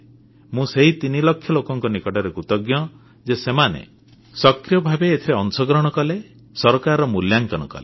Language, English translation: Odia, I am grateful to these 3 lakh people that they displayed a lot of self initiative in rating the government